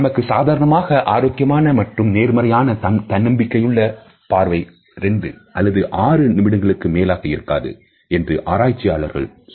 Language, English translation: Tamil, Researches tell us that a normal healthy and positive confident gaze should not be more than 2 or 3 seconds